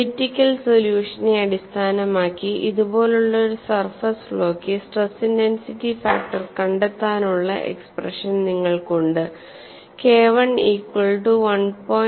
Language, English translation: Malayalam, Based on the elliptical solution, you have the expression for stress intensity factor for a surface flaw given like this, K 1 equal to 1